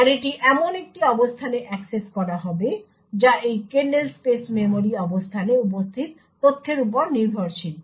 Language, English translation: Bengali, Thus, the array would be accessed at a location which is dependent on the data which is present in this kernel space memory location